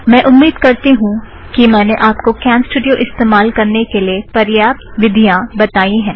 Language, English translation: Hindi, So I hope I have given you sufficient information to get you started on CamStudio